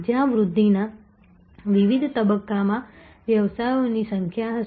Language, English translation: Gujarati, Where there will be number of businesses at different stages of growth